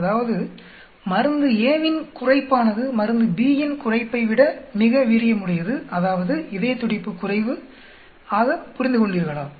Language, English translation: Tamil, That means drug a lower is more effective than dug b that means, heart rate is less so understood